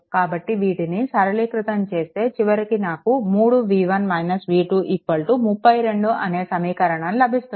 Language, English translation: Telugu, So, this is at node 1 you will get this equation finally, is it coming 3 v 1 minus v 2 is equal to 32